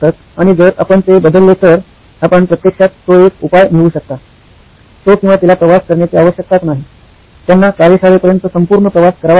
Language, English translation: Marathi, And if you change that, you can actually get a solution in the form of, well he doesn’t or she doesn’t have to travel, they do not have to travel all the way to the workshop